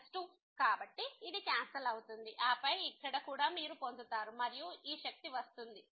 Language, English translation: Telugu, So, this will cancel out and then here also so, you will get and this power